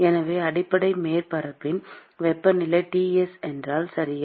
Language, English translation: Tamil, So, supposing if the temperature of the base surface is Ts, okay